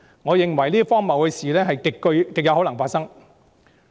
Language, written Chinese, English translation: Cantonese, 我認為這些荒謬的事極有可能發生。, I consider it very likely for such absurdity to happen